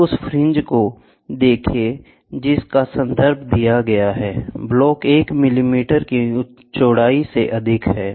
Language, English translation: Hindi, Now let the fringes of the reference, block be n over the width of 1 millimeter